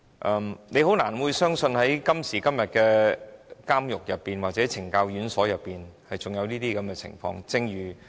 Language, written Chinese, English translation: Cantonese, 我們都覺得難以相信，今時今日的監獄或懲教院所竟然還有這種情況。, We all find it hard to believe that this happens in prisons or correctional institutions today